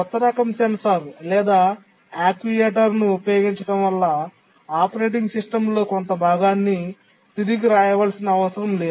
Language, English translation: Telugu, Using a new type of sensor or actuator should not require to rewrite part of the operating system